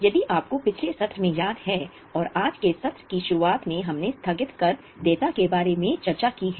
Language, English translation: Hindi, If you remember in the last session and even in the beginning of today's session we discussed about deferred tax liability